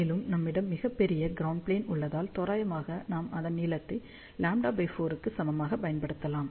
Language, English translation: Tamil, And since, we have a very large ground plane, we can use approximation as length to be equal to lambda by 4